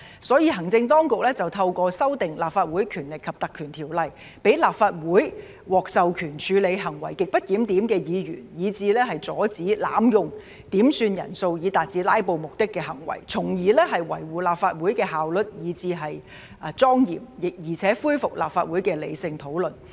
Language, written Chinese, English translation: Cantonese, 所以，行政當局透過修訂《立法會條例》，讓立法會獲授權處理行為極不檢點的議員，以至阻止濫用點算人數以達致"拉布"目的的行為，從而維護立法會的效率以至莊嚴，並且恢復立法會的理性討論。, For that reason the Administration seeks to amend the Legislative Council Ordinance to empower the Legislative Council to deal with the grossly disorderly conduct of Members and deter the act of abusing quorum calls for the purpose of filibustering thereby maintaining the efficiency and solemnity of the Legislative Council and restoring rational discussion in the Council